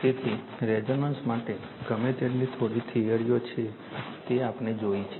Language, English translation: Gujarati, So, far what whatever little bit theories are there for resonance we have seen it